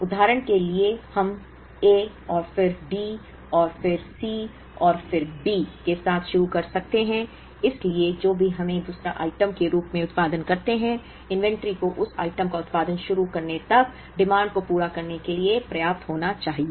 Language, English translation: Hindi, For example, we could start with A and then D, and then C, and then B, so whatever we produce as the second item, the inventory should be sufficient to meet the demand till we start producing that item